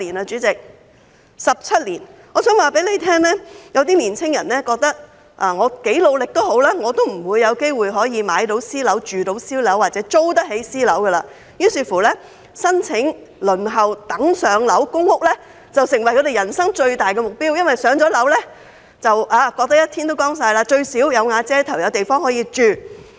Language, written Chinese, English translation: Cantonese, 主席，是17年。我想告訴你，有些青年人認為無論多努力，也不會有機會買私樓，住私樓或租得起私樓，於是，申請輪候公屋"上樓"便成為他們人生最大的目標，因為"上樓"後便"一天都光晒"，最低限度，"有瓦遮頭"、有地方可以住。, 17 years President I would like to tell you that some young people think that no matter how much effort they make they will never have a chance to buy private flats live in private flats or afford to rent private flats . Therefore waiting for PRH units has become their principal life goal because everything will be fine after they have been allocated PRH units; they will at least have shelter and somewhere to live